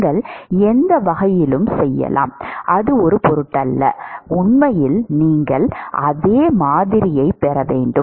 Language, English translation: Tamil, You could do either way, it does not matter and in fact, you should get exactly the same model